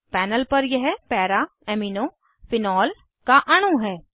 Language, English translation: Hindi, This is a molecule of Para Amino Phenol on the panel